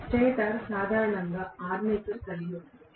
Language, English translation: Telugu, The stator is going to consist of armature normally